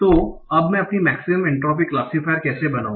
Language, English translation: Hindi, What is the basic principle for using this maximum entropy classifier